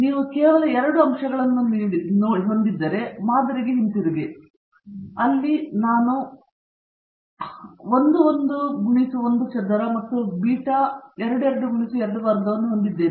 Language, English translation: Kannada, Let us go back to the model, if you are having only 2 factors then I said, you will have beta 11 x 1 square plus beta 22 x 2 squared